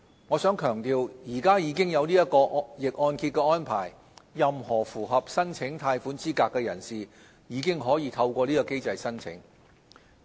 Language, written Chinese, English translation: Cantonese, 我想強調，現時已經有逆按揭的安排，任何符合申請貸款資格的人士，已經可以透過這個機制申請。, I wish to emphasize that reverse mortgage is a standing arrangement and any person meeting the eligibility criteria can apply for loans through this mechanism